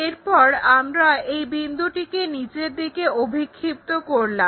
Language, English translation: Bengali, Then, project all these points down